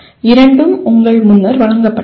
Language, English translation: Tamil, Both are presented to you earlier